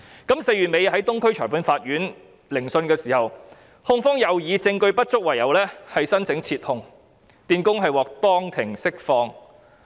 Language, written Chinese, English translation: Cantonese, 於4月底在東區裁判法院聆訊時，控方又以證據不足為由申請撤控，電工獲當庭釋放。, In a hearing in the Eastern Magistrates Courts in late April the prosecution again applied to withdraw the case due to insufficient evidence and the electrician was released in the Court